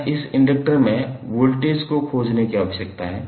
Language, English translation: Hindi, We need to find the voltage across that inductor